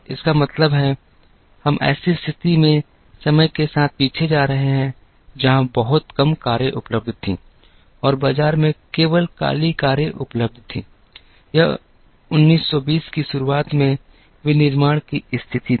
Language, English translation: Hindi, This means, we are going backwards in time to a situation, where there were very few cars available and there were only black cars available in the market, this was a state of manufacturing in the early 1920’s